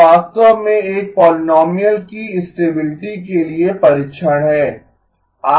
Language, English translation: Hindi, It is actually the test for stability of a polynomial